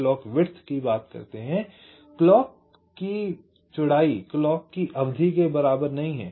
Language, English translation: Hindi, clock width is not equal to the clock period